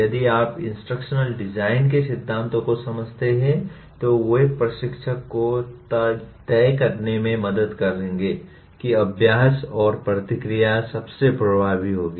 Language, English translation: Hindi, This if you understand the principles of instructional design, they would help instructor to decide when practice and feedback will be most effective